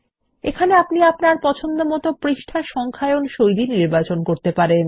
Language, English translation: Bengali, Here you can choose the page numbering style that you prefer